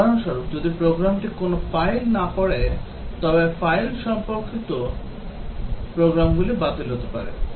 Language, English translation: Bengali, For example, if the program does not use any files, a file related programs can be ruled out